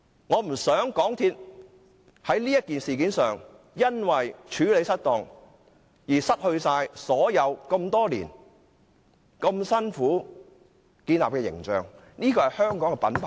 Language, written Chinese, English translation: Cantonese, 我不希望港鐵公司在這事件上因為處理失當而損害多年來辛苦建立的形象，這是香港的品牌。, I do not wish to see MTRCLs image developed at pains over the years to be tarnished because of its improper management of the incident . MTRCL is a Hong Kong brand